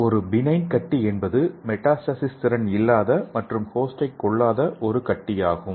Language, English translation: Tamil, And the benign is a tumor that is not capable of metastasis and does not kill the host